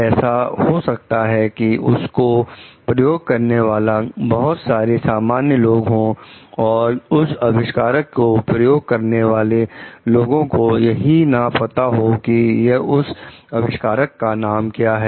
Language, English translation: Hindi, It may be the case, like the many users the common people, the many users of that invention may not even know the inventors name